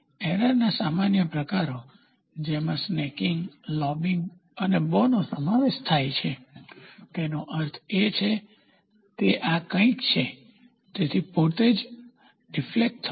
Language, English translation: Gujarati, Common types of error which includes snaking, lobbing and bow, bow means it is something like this, so the deflection itself